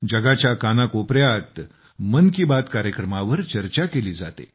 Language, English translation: Marathi, There is a discussion on 'Mann Ki Baat' in different corners of the world too